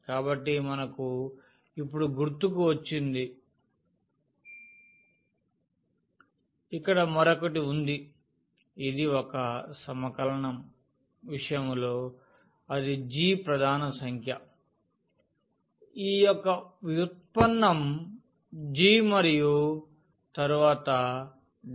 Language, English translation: Telugu, So, that is again here to recall that we got now there is something else here which is in case of a single integral it is g prime the derivative of this g and then dt